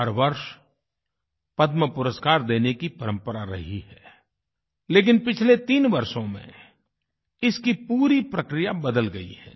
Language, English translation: Hindi, There was a certain methodology of awarding Padma Awards every year, but this entire process has been changed for the past three years